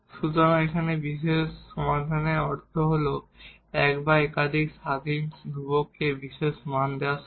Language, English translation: Bengali, So, here the particular solution means the solution giving particular values to one or more of the independent constants